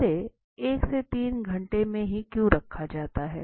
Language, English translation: Hindi, Why it is kept in 1 to 3 hours